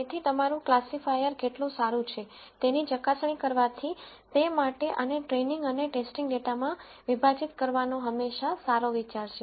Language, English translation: Gujarati, So, from verifying how good your classifier is it is always a good idea to split this into training and testing data